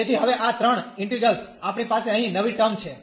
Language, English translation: Gujarati, So, these three integrals now, we have new terms here